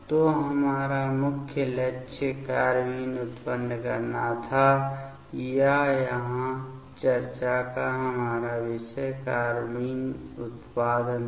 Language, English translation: Hindi, So, our main target was to generate the carbene or our topic of the discussion here was the carbene generation